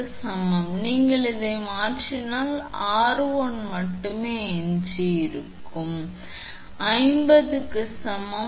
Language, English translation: Tamil, 5 that you substitute here and then only r1 will be left is equal to 50